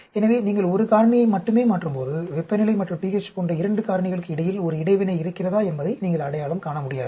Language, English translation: Tamil, So, when you change only one factor, you will not be able to identify whether there is an interaction between two factors like temperature and pH maybe having interaction